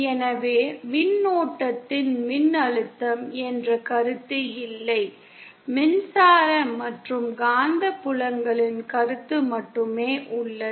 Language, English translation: Tamil, So there is no concept of voltage of current, there is only the concept of electric and magnetic fields